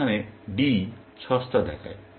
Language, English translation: Bengali, Here, D looks cheap